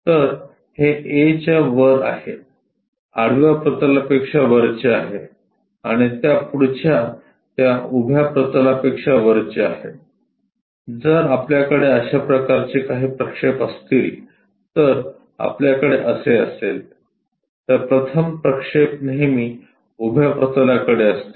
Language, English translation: Marathi, So, it is above A above horizontal plane and next to this vertical plane above that, if that is kind of projection if we are going to have it, then the first projection always be towards vertical plane